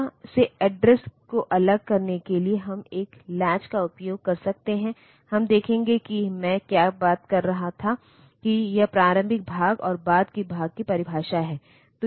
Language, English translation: Hindi, In order to separate address from data we can use a latch we will see that is what I was talking about that this is the definition of early part and later part